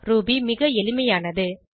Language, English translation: Tamil, Ruby is highly portable